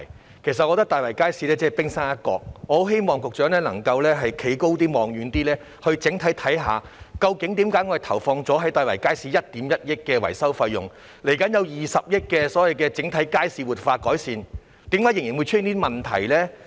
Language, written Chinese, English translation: Cantonese, 但是，我覺得大圍街市只是冰山一角，我很希望局長能站得更高、看得更遠，整體研究究竟為何政府在大圍街市投放了1億 1,000 萬元的維修費用，而未來又會投放20億元進行整體街市活化改善計劃，但卻仍然出現這些問題？, However I think the Market is only the tip of the iceberg . I very much hope that the Secretary can stand up higher and see farther to comprehensively examine why these problems still occur despite the Governments investment of 110 million in the maintenance of Tai Wai Market and its future investment of 2 billion in the overall market revitalization and improvement programme